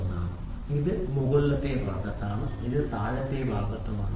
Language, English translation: Malayalam, 1, which is on the upper side, this is on a lower side